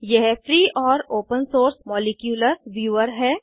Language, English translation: Hindi, It is, * A free and open source Molecular Viewer